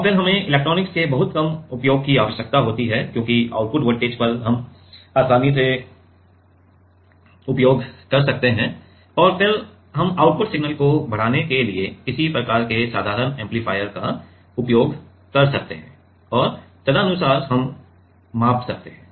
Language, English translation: Hindi, And, then we need very minimal use of electronics because at the output voltage you can easily use and then we can maybe we can use some kind of a simple amplifier to amplify the output signal and accordingly we can measure